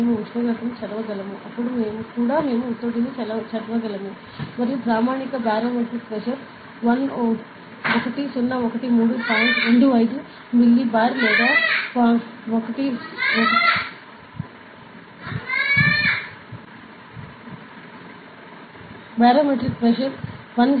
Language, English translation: Telugu, So, we can read the temperature, then also we can read the pressure ok and based on the assumption that standard barometric pressure is 1013